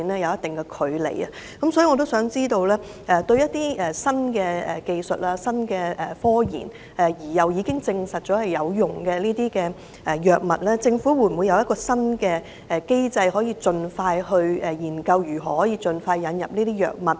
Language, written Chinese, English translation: Cantonese, 因此，我想知道，對於一些經新科研技術證實有用的新藥物，政府會否有一套新機制研究如何盡快引入呢？, I thus wish to know whether the Government has any new mechanism to explore how best to speed up the inclusion of new drugs scientifically proven efficacious